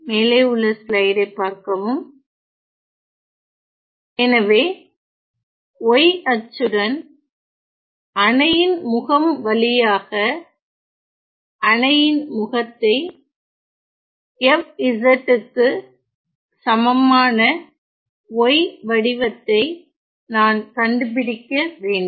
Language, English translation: Tamil, So, then with y axis along the face of the dam and I have to find the form of y equal to f z the face of the dam